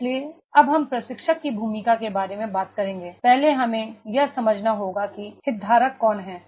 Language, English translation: Hindi, So we will now talk about the role of the trainer, the first is we have to understand who are the stakeholders